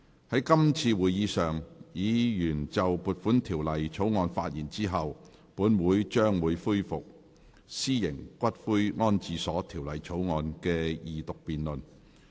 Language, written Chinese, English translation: Cantonese, 在今次會議上，議員就撥款條例草案發言後，本會將會恢復《私營骨灰安置所條例草案》的二讀辯論。, At this meeting after Members have spoken on the Appropriation Bill this Council will resume the Second Reading debate on the Private Columbaria Bill